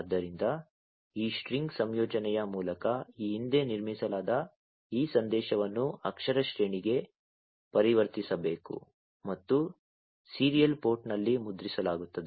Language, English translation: Kannada, So, this message one, which has been built earlier through this string concatenation, it will have to be converted to a character array and is printed in the serial port